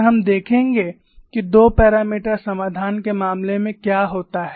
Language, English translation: Hindi, And we look at what happens in the case of 2 parameters solution